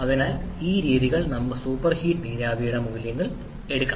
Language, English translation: Malayalam, So this way we can take the values for super heated vapor